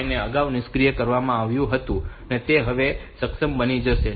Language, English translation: Gujarati, 5 it was disabled previously now it becomes enabled